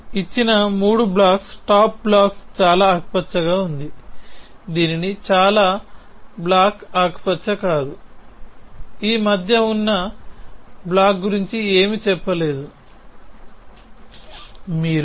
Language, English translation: Telugu, Given to us is three blocks the top most block is green, the bottom most block is not green nothing is said about the block in between